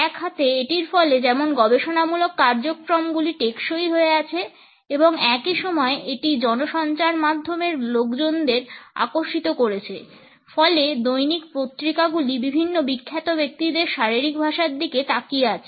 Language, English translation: Bengali, On one hand it resulted into sustainable research programs and at the same time it also attracted the media people resulting in regular columns looking at the body language of different famous people